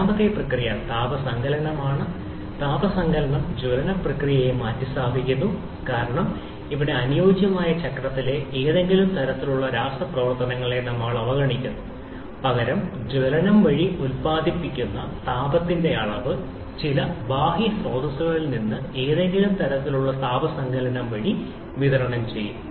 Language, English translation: Malayalam, Second process is heat addition; heat addition substitutes the combustion process because here we neglect any kind of chemical reaction in the ideal cycle rather considering the amount of heat produced by combustion to be supplied from some external source by the means of some kind of heat addition